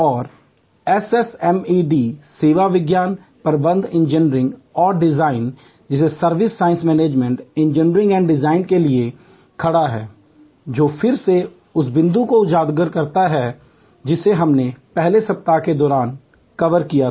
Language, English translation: Hindi, And SSMED stands for Service Science Management Engineering and Design, which again highlights the point that we had covered during the first week